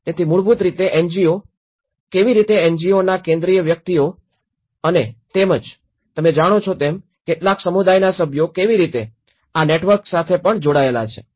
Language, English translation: Gujarati, So basically the NGOs, how the central persons of the NGOs and as well as you know, some community members how they are also linked with these networks